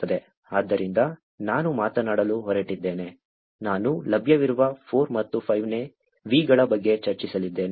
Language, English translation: Kannada, So, I am going to talk about, I am going to discuss about the 4 and the 5th V’s that is available